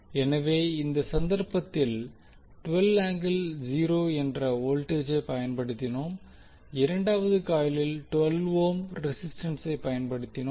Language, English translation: Tamil, So in this case we have applied voltage that is 12 volt angle 0 and in the second coil we have applied 12 ohm as a resistance